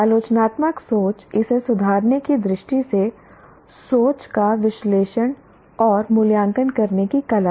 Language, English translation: Hindi, Critical thinking is the art of analyzing and evaluating thinking with a view to improve in it